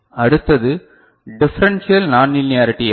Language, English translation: Tamil, Next is differential non linearity error